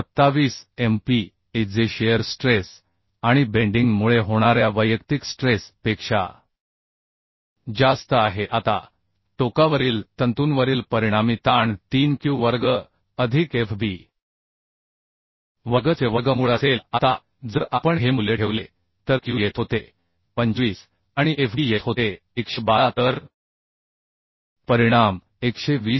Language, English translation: Marathi, 27 MPa which is more than the individual stress due to shear shear stress and bending ok Now the resultant stress at the extreme fiber will be square root of 3q square plus fb square Now if we put this value q was coming 25 and fb was coming 112 so the resultant is coming 120